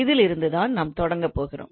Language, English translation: Tamil, So this is what we are going to start with